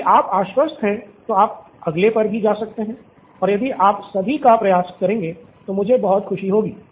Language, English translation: Hindi, If you are confident go to the next one and I will be very happy if you can attempt all 3